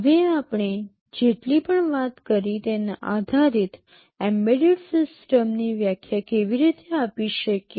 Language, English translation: Gujarati, Now, how can we define an embedded system based on whatever we talked about so, far